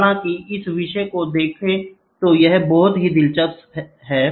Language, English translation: Hindi, Though see this topic is of it is own a very interesting one